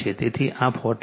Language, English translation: Gujarati, So, this is 40 right